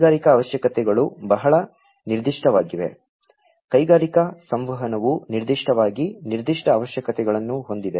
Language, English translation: Kannada, Industrial requirements are very specific, industrial communication particularly has certain specific requirements